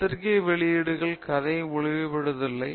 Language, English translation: Tamil, Journal publications do not reveal the full story